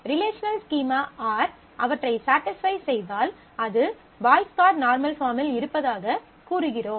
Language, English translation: Tamil, If that is satisfied by the relational schema R, then it is said to be in the Boyce Codd normal form